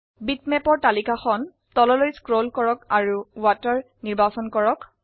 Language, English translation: Assamese, Scroll down the list of bitmaps and select Water